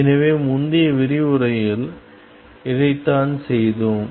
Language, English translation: Tamil, So, this is what we did in the previous lecture